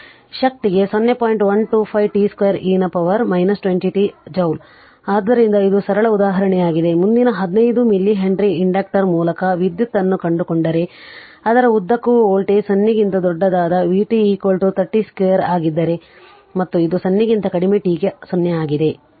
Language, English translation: Kannada, 125 t square e to the power minus 20 t joule right, so this is simple example next 1 is find the current through a 5 milli Henry inductor if the voltage across it is v t is equal to 30 t square for t greater than 0 and it is 0 for t less than 0 this is given right